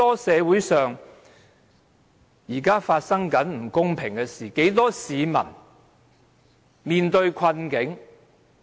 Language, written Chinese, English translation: Cantonese, 社會上現正發生許多不公平的事情，很多市民正在面對困境。, At this moment many unfair incidents are happening in society and many people are in dire straits . The local property market has gone crazy